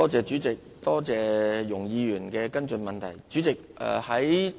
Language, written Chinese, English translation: Cantonese, 主席，多謝容議員的補充質詢。, President I thank Ms YUNG for her supplementary question